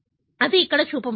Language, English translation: Telugu, That is shown here